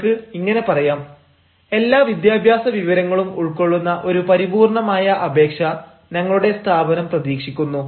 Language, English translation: Malayalam, you can also say: our organization expects a full fledged application, having all the educational details